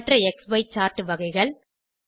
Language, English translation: Tamil, Other XY chart types 3